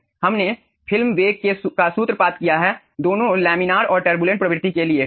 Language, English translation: Hindi, we have formulated the film velocity for both laminar and turbulent regime